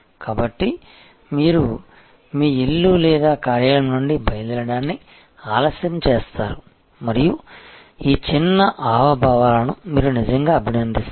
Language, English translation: Telugu, So, you delay the departure from your home or work place and you really appreciate these little gestures